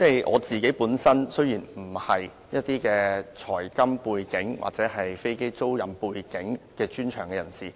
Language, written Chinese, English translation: Cantonese, 我本身並不具有財金背景，亦非飛機租賃業務背景的專長人士。, I do not have any background in financial and monetary affairs and am not a specialist in aircraft leasing business